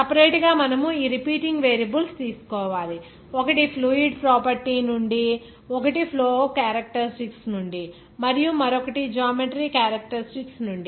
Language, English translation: Telugu, Separately you have to take these repeating variables, one from fluid property one from flow characteristics and one from geometry characteristics